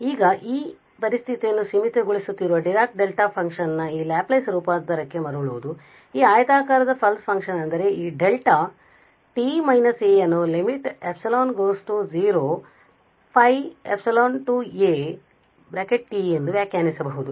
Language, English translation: Kannada, So, now getting back to this Laplace transform Dirac Delta function which is limiting situation of this rectangular pulse that means this Delta t minus a can be defined as the limit epsilon goes to 0 of this phi epsilon a t